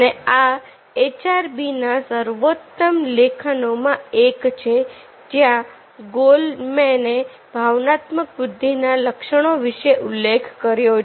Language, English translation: Gujarati, and this is one of the classical articles in hbr where where ah goleman mentioned about these attributes of emotional intelligence